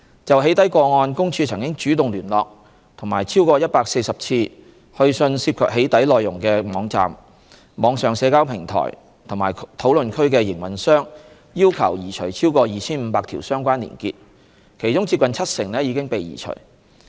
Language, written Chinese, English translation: Cantonese, 就"起底"個案，公署曾主動聯絡及超過140次去信涉及"起底"內容的網站、網上社交平台或討論區的營運商要求移除超過 2,500 條相關連結，其中接近七成已被移除。, With regard to the doxxing cases PCPD has actively approached and written for over 140 times to operators of websites online social media platforms and discussion forums involving doxxing postings urging them to remove over 2 500 relevant web links of which close to 70 % has been removed